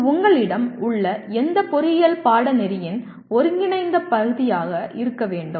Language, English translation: Tamil, And this should be integral part of any engineering course that you have